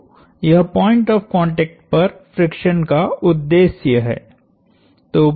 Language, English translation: Hindi, So, this is the purpose of friction at the point of contact